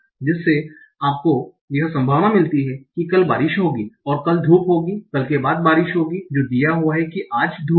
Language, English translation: Hindi, So that gives you the probability that tomorrow will be rainy and sorry, tomorrow will be sunny and after tomorrow will be rainy given that today is sunny